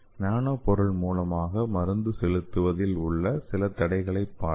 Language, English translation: Tamil, So let us see some of the barriers to nanovectors delivery